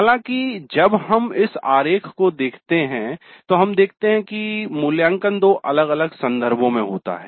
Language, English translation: Hindi, However, when we look into this diagram, we see that evaluate occurs in two different contexts